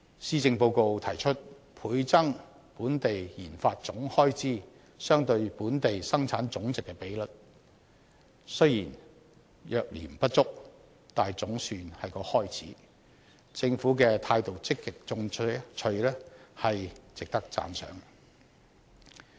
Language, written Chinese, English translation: Cantonese, 施政報告提出倍增本地研發總開支相對本地生產總值的比率，雖然略嫌不足，但總算是個開始，政府積極進取的態度，值得讚賞。, The Policy Address proposes to double the Gross Domestic Expenditure on research and development RD as a percentage of the Gross Domestic Product . Though that is not entirely adequate it is still a start and the Governments active attitude is commendable